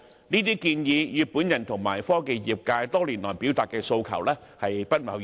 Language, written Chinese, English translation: Cantonese, 這些建議與我及科技業界多年來表達的訴求均不謀而合。, These suggestions are in line with my aspirations as well as those of the technology industry voiced over the years